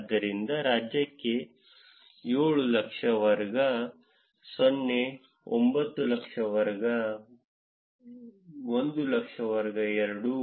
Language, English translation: Kannada, So, for the state 700,000 is for class 0; 900,000 are for class 100,000 is for class 2